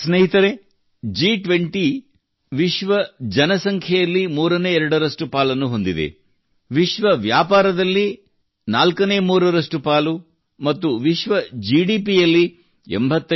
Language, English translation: Kannada, Friends, the G20 has a partnership comprising twothirds of the world's population, threefourths of world trade, and 85% of world GDP